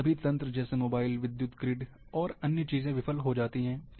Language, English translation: Hindi, All those networks, like mobile and other, power grid and other things, fails